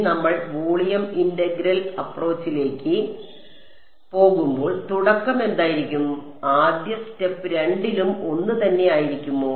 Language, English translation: Malayalam, When we move to the volume integral approach what was how what was the starting point, was the first step common to both